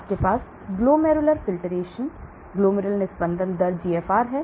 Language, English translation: Hindi, You have a glomerular filtration rate GFR